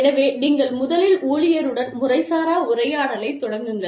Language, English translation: Tamil, So, you first start with an informal conversation, with the employee